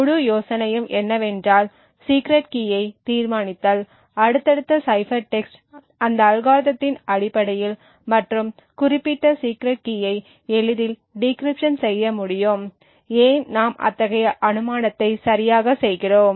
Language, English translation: Tamil, The whole idea is that if the secret key is determined then subsequence cipher text based on that algorithm and the that specific secret key can be easily decrypted why exactly do we make such an assumption